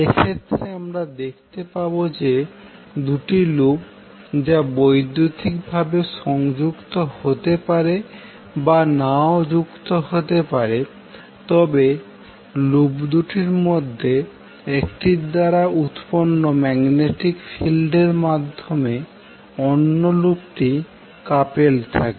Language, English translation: Bengali, Now in this case we will see when the two loops which may be or may not be connected electrically but they are coupled together through the magnetic field generated by one of them